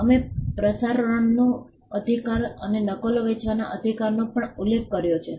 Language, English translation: Gujarati, We also referred to the right to broadcast and also the right to sell the copies